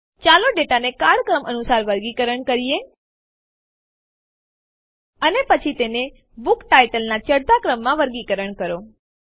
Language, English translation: Gujarati, Let us sort the data in chronological order, And then sort it by the Book title in ascending order